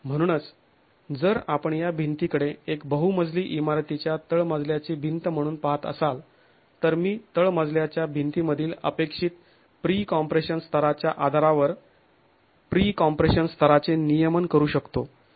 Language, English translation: Marathi, So, if we were to look at this wall as a ground story wall in a multi storied building, then I can regulate the pre compression level based on what is the expected pre compression level in the ground story wall